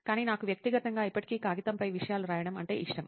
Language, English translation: Telugu, But I personally still like to write things on paper